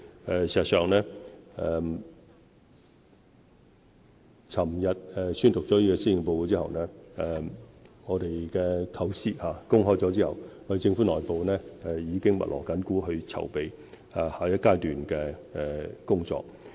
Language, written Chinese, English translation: Cantonese, 事實上，昨天宣讀施政報告，公開我們的構思後，政府內部已密鑼緊鼓籌備下一階段的工作。, In fact after I delivered the Policy Address unveiling our ideas yesterday the Government has started to make active preparations internally for the next stage of work